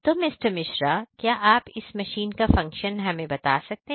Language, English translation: Hindi, Mishra could you please explain the functionality of this particular machine